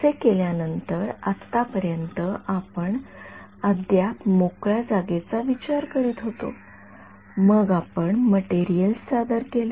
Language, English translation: Marathi, After having done that so, far we were still dealing with free space then we introduced materials right